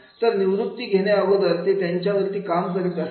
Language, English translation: Marathi, So, before getting retirement, they will working on this